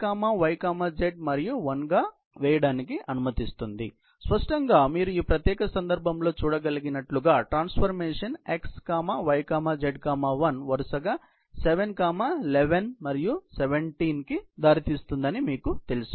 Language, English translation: Telugu, So, lets lay this out as x, y, z and 1 and so; obviously, as you can see in this particular case, you know the transformation x, y, z, 1 would result in 7, 11 and 17 respectively